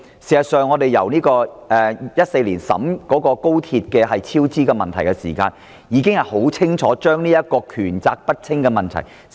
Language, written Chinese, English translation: Cantonese, 事實上，在2014年有關高鐵超支問題的報告中已清楚指出港鐵公司權責不清的問題。, In fact MTRCLs problem of unclear demarcation of duties and powers has been expressly pointed out in the report on XRLs cost overruns released in 2014